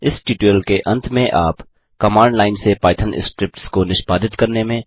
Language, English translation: Hindi, At the end of this tutorial, you will be able to , Execute python scripts from command line